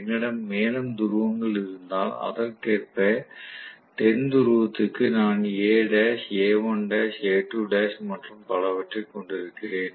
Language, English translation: Tamil, If I have more and more number of poles, correspondingly for the South Pole I will have A dash, A1 dash, A2 dash and so on and so forth